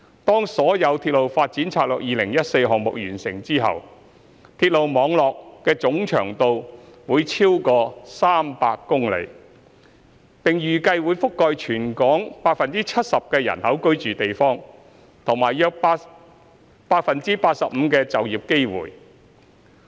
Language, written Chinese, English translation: Cantonese, 當所有《鐵路發展策略2014》項目完成後，鐵路網絡總長度會超逾300公里，並預計會覆蓋全港約 75% 人口居住的地區和約 85% 的就業機會。, Upon completion of all RDS - 2014 projects the total length of the railway network will exceed 300 km and is expected to cover about 70 % of the population and about 85 % of the employment opportunities in Hong Kong